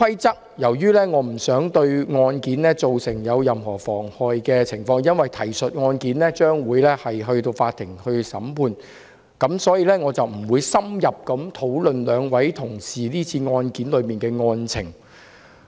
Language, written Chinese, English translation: Cantonese, 由於提述的案件將由法院審理，我不想對案件造成任何妨礙，所以我不會深入討論兩位同事是次案件的案情。, During the incident a security officer even got injured . Since the said case will be on trial in court I do not wish to cause any interference in it . Hence I will not discuss in depth the facts of this case involving the two Honourable colleagues